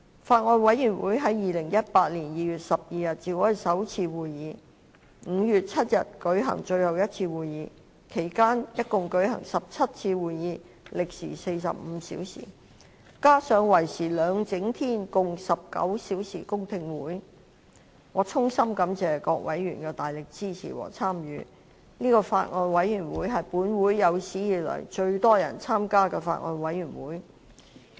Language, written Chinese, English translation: Cantonese, 法案委員會在2018年2月12日召開首次會議 ，5 月7日舉行最後一次會議，其間共舉行17次會議，歷時45小時，加上為時兩整天共19小時的公聽會，我衷心感謝各委員的大力支持和參與，此法案委員會是本會有史以來最多人參加的法案委員會。, During this period a total of 17 meetings that lasted 45 hours were held and two whole - day public hearings that lasted a total of 19 hours were held . I sincerely thank various members for their vigorous support and participation . This Bills Committee has been one with the largest membership in the history of this Council